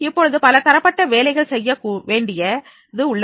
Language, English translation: Tamil, Now, the number of tasks are to be done